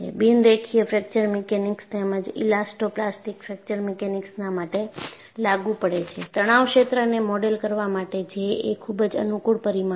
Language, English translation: Gujarati, And in fact, for non linear fracture mechanics as well as elasto plastic fracture mechanics, J was a very convenient parameter to model the stress field